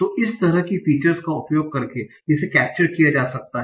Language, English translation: Hindi, So this can be captured by using this kind of features